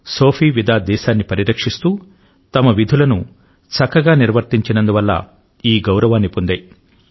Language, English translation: Telugu, Sophie and Vida received this honour because they performed their duties diligently while protecting their country